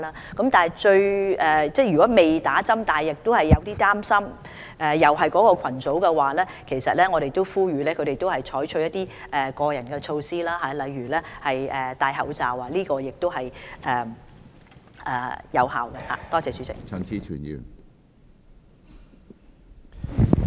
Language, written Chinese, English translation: Cantonese, 屬目標群組的人士，如果尚未接種疫苗而又擔心受到感染，我呼籲他們採取個人措施，例如戴口罩，這也是有效的預防措施。, For those who belong to the target groups if they have yet to receive vaccination but are worried about measles infection I will advise them to take personal protective measures such as wearing masks . This is also an effective way to prevent measles